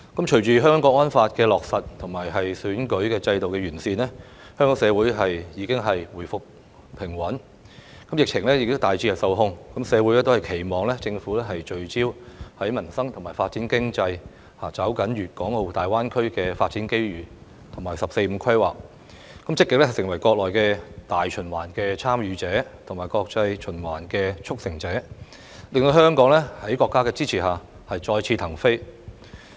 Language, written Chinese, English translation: Cantonese, 隨着《香港國安法》的落實和選舉制度的完善，香港社會已回復平穩，疫情也大致受控，社會都期望政府聚焦民生，發展經濟，抓緊粵港澳大灣區發展機遇及"十四五"規劃，積極成為國內大循環的"參與者"和國際循環的"促成者"，令香港在國家的支持下再次騰飛。, With the implementation of the National Security Law and improvements to the electoral system stability has been restored in Hong Kong society and the epidemic is largely under control . The community expects the Government to focus on peoples livelihood and economic development leveraging the development opportunities presented by the Guangdong - Hong Kong - Macao Greater Bay Area GBA and the 14th Five - Year Plan and proactively becoming a participant in domestic circulation and a facilitator in international circulation so that Hong Kong with the support of our country can take off again